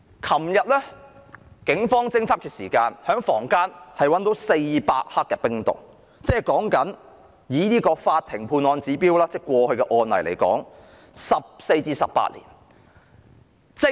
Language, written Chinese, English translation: Cantonese, 昨天警方在房間檢獲400克冰毒，以法庭過去的判案指標，有關人士將會判刑14至18年。, As the Police seized 400 g of ice in the rooms yesterday the person concerned may face a sentence of 14 to 18 years according to past court judgments